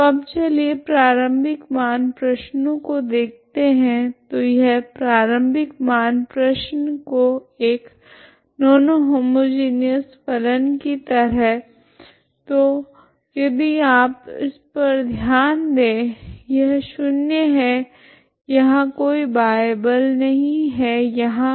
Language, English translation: Hindi, So now let us look at the initial value problem here, so this initial value problem as a non homogeneous function so if you consider this is a forcing is 0 there is no forcing outside force external force is 0 here